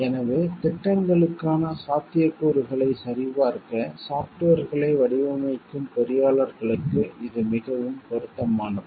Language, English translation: Tamil, So, this is more relevant for engineers who design software s to check feasibility scores for projects